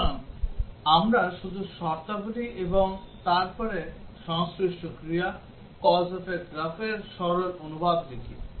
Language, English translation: Bengali, So, we just write the conditions and then the corresponding actions, the straightforward translation of the cause effect graph